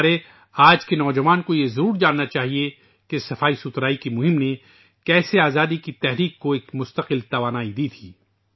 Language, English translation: Urdu, Our youth today must know how the campaign for cleanliness continuously gave energy to our freedom movement